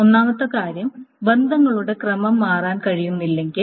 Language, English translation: Malayalam, Now this is when the order of relations cannot change